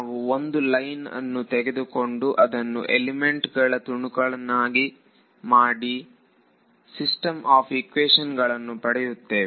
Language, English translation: Kannada, We took a line and we chopped into elements and formed the system of equations